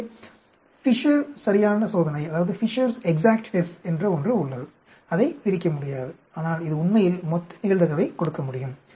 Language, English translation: Tamil, So, there is something called Fisher’s exact test, which cannot break it down, but it can give a total probability of this actually